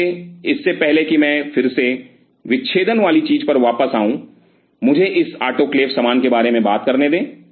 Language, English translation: Hindi, So, just before I again get back to the dissecting thing, let me talk about this autoclave stuff